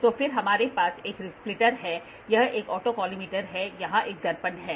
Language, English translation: Hindi, So, then we have a splitter this is an autocollimator here is a mirror